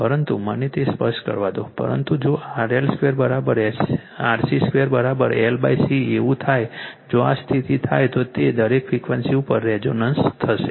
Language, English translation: Gujarati, That your RL square is equal to RC square is equal to L by C if this condition happen then it will resonate at every all frequencies right